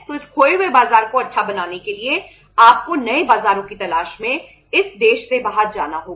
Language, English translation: Hindi, So to make this lost market good you have to go out of this country in search of new markets